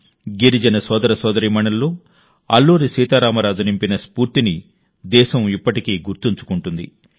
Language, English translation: Telugu, The country still remembers the spirit that Alluri Sitaram Raju instilled in the tribal brothers and sisters